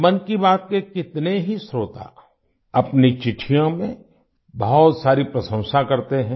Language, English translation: Hindi, Many listeners of 'Mann Ki Baat' shower praises in their letters